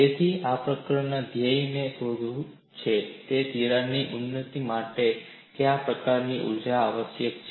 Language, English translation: Gujarati, So, the goal in this chapter is to find out, what is the kind of energy required for advancement of a crack